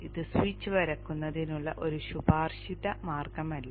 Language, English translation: Malayalam, This is not a recommended way of drawing the switch